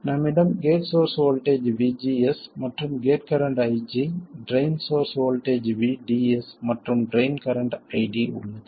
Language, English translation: Tamil, We have the gate source voltage VG and the gate current IG, the drain source voltage VDS and the drain source voltage VDS and the drain current ID